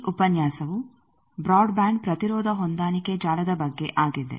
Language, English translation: Kannada, This lecture will be on Broadband Impedance Matching Network Design